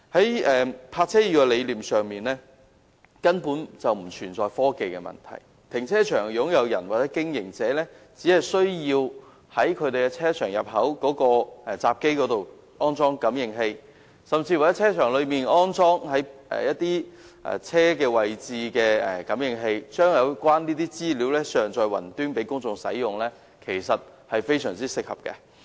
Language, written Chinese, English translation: Cantonese, "易泊車"的理念根本不存在科技的問題，停車場擁用人或經營者只需要在其停車場入口閘機上安裝感應器，甚至在停車場內的泊車位上安裝汽車感應器，將有關的資料上載雲端，讓公眾使用，這其實是非常合適的做法。, The idea of Smart Parking actually involves no technology issue . Owners or operators of car parks need only install a sensor at the entrance gate of their car park or install vehicle sensors at the parking spaces inside the car park and upload the relevant data onto the Cloud for public use . This is actually a most appropriate thing to do